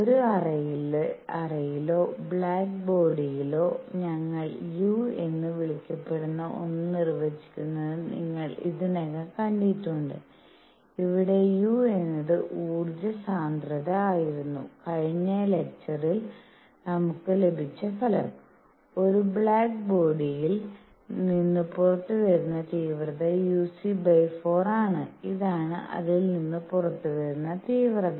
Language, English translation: Malayalam, You have already seen that in a cavity or in a black body, we define something called u; where u was the energy density and the result that we got in the previous lecture was that the intensity coming out of a black body is uc by 4, this is the intensity coming out